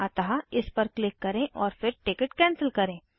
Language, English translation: Hindi, So lets click this and then cancel the ticket